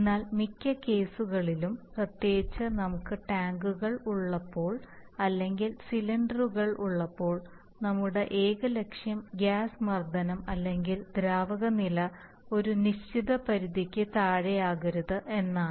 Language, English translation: Malayalam, But in many cases, we especially, when we have tanks or we have cylinders our only objective is that the gas pressure or the liquid level does not fall below a certain limit